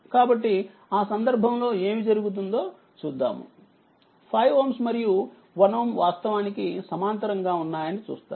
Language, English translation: Telugu, So, in that case, what will happen you will see that 5 ohm and 1 ohm actually are in parallel